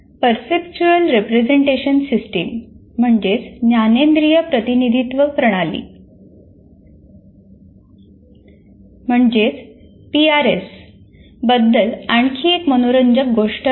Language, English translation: Marathi, There is another interesting thing, perceptual representation system, PRS